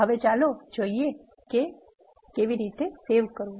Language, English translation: Gujarati, Now, let us see how to save